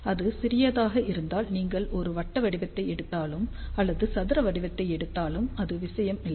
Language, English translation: Tamil, And if it is small it does not matter, whether you take a circular shape or you take a square shape